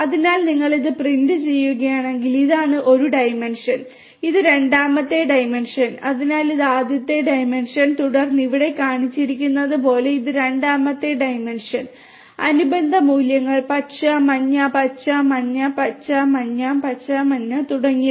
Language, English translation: Malayalam, So, if you print that then you get this is this one dimension, this is the second dimension, so this is this first dimension and then this is the second dimension as shown over here and this corresponding values green, yellow, green, yellow, green, yellow, green, yellow, green and so on